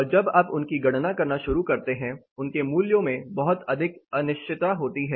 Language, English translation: Hindi, And the moment you start computing them there is a lot of uncertainty which happens in this values